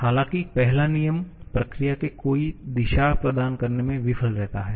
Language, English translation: Hindi, However, first law fails to provide any direction to the process